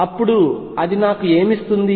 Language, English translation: Telugu, Then what does it give me